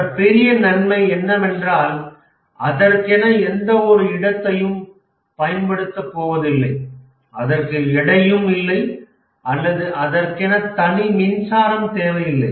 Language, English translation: Tamil, The other big advantage is that consumes no space, it has no weight or intrinsically there is no power associated with software